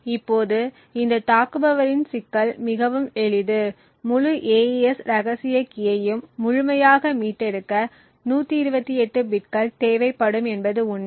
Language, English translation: Tamil, Now the problem with this attacker is extremely simple is the fact that you would require 128 bits to completely recover the entire AES secret key